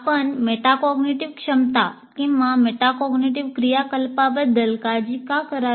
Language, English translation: Marathi, And why should we be concerned about metacognitive ability or metacognitive activities